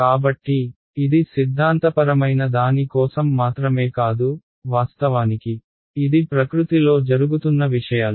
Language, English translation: Telugu, So, it is not just for theoretical fun its actually happening in nature these things ok